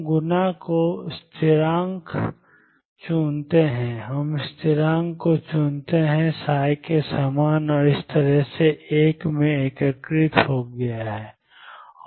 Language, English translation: Hindi, We choose the coefficient the constant, we choose the constant in front of psi and such that it has integrated to 1